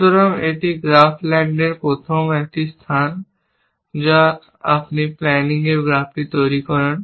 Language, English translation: Bengali, So, that is a first space of graph land you construct the panning graph